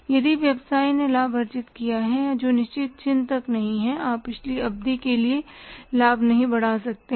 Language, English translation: Hindi, If the business has earned a profit and that is not up to the mark you can't increase the profit for the previous period